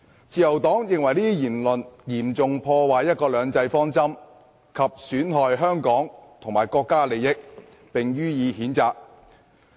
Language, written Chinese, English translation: Cantonese, "自由黨認為這些言論嚴重破壞"一國兩制"方針及損害香港及國家的利益，並且予以譴責。, This is democratic self - determination . end of quote The Liberal Party condemns these remarks as they seriously sabotage one country two systems and damage the interests of Hong Kong and the country